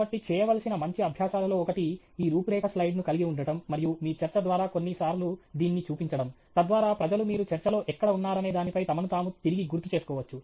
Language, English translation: Telugu, So, by the way, one of the good practices to do is to have this outline slide, and to flash it a few times through your talk, so that people can again, you know, recalibrate themselves with respect to where you are in your talk, and so that’s what we will do here